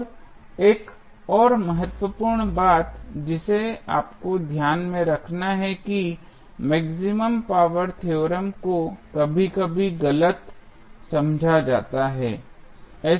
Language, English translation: Hindi, Now, another important thing which you have to keep in mind that maximum power theorem is sometimes misinterpreted